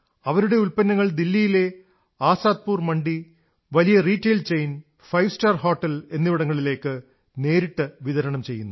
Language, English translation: Malayalam, Their produce is being supplied directly to Azadpur Mandi, Delhi, Big Retail Chains and Five Star Hotels